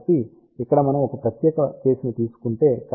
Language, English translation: Telugu, So, here we will just make a special case